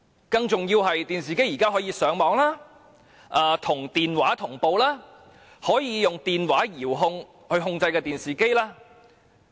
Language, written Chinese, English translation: Cantonese, 更重要的是，現時還可以利用電視機上網、與電話同步及用電話遙控電視機。, More importantly we can now use TV for Internet access synchronize our phone to TV and use phones to remote control TV